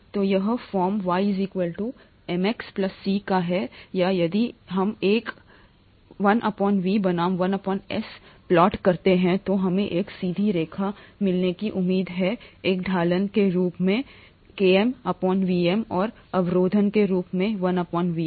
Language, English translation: Hindi, So this is of the form y equals to mx plus C or if we plot 1by V versus 1by S we expect to get a straight line with Km by Vm as a slope and 1 by Vm as the intercept